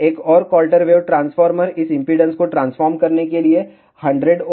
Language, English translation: Hindi, Another quarter wave transformer to transfer this impedance to 100 ohm 100 in parallel with 100 will become 50